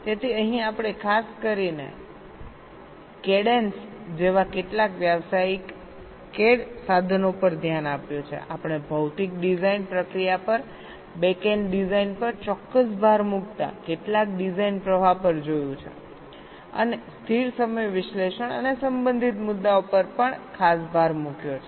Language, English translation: Gujarati, like cadians, we looked at some design flow in specific emphasis on physical design process, the backend design and also special emphasis on static timing analysis and related issues